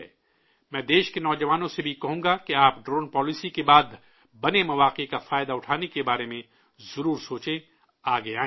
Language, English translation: Urdu, I will also urge the youth of the country to certainly think about taking advantage of the opportunities created after the Drone Policy and come forward